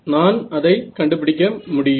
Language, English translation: Tamil, And I can find